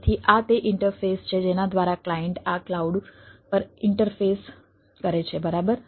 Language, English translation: Gujarati, so these are the interface by which the client interface to the to this cloud